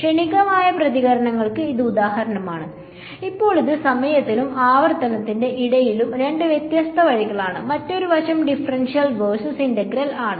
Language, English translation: Malayalam, Now so that is two different ways of looking at time versus frequency; the other aspect is differential versus integral